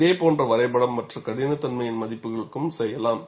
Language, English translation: Tamil, Similar graph, you could do it for other toughness values